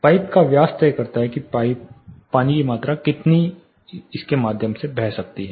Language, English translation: Hindi, The diameter of the pipe decides how much amount of water can flow through it